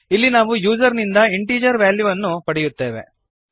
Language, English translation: Kannada, Here we accept integer values from the user